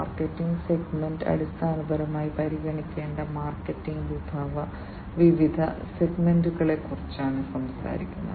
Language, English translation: Malayalam, Markets segment basically talks about what are the different segments of the market that has to be considered